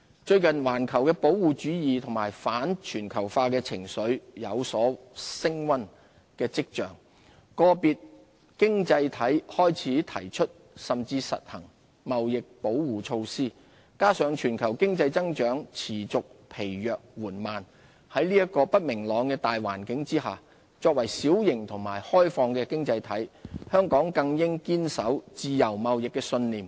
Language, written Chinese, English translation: Cantonese, 最近環球的保護主義和反全球化情緒有升溫跡象，個別經濟體開始提出甚至實行貿易保護措施，加上全球經濟增長持續疲弱緩慢，在這個不明朗的大環境下，作為小型及開放的經濟體，香港更應堅守自由貿易的信念。, Some individual economies have advocated or even implemented trade protection measures . Global economic growth remains weak and sluggish . Under such uncertainties in the macro - environment Hong Kong as a small and open economy should uphold the principle of free trade